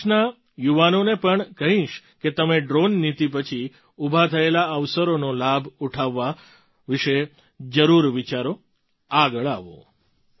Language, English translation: Gujarati, I will also urge the youth of the country to certainly think about taking advantage of the opportunities created after the Drone Policy and come forward